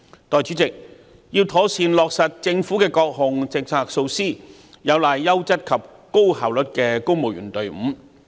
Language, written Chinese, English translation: Cantonese, 代理主席，要妥善落實政府各項政策和措施，有賴優質及高效率的公務員隊伍。, Deputy President it takes a highly efficient civil service with high calibre to properly implement government policies and measures